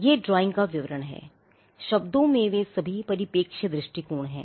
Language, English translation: Hindi, This is a description of the drawing; in words they are all perspective view